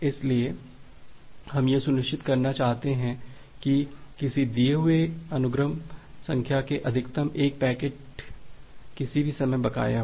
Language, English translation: Hindi, So, we want to ensure that at most one packet with a given sequence number maybe outstanding at any given time